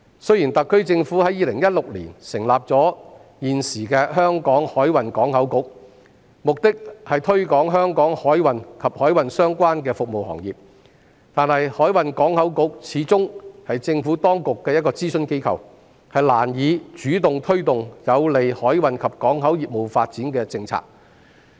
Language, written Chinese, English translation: Cantonese, 雖然特區政府在2016年成立香港海運港口局，目的是推廣香港海運及海運相關的服務行業，但香港海運港口局始終是政府當局的諮詢機構，難以主動推動有利海運及港口業務發展的政策。, Although the SAR Government established the Hong Kong Maritime and Port Board in 2016 to promote Hong Kongs maritime and maritime - related service industries the Board being an advisory body of the Government can hardly take the initiative to actively promote policies conducive to the development of maritime and port business